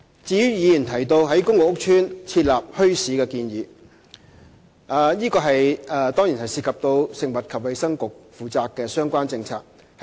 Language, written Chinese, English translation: Cantonese, 至於議員提到在公共屋邨設立墟市的建議，這當然涉及食物及衞生局負責的相關政策。, As regards the proposal for setting up bazaars as mentioned by Members just now the relevant policy of the Food and Health Bureau is definitely involved